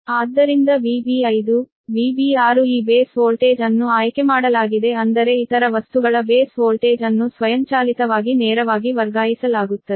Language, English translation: Kannada, therefore, v b five, v b six, this thing, this base voltage, is chosen such that base voltage for other things automatically will be transfer right, so directly